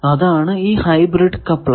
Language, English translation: Malayalam, That is basically this hybrid coupler